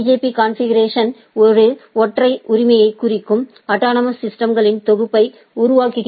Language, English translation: Tamil, So, a BGP configuration creates a set of autonomous systems that represent a single AS right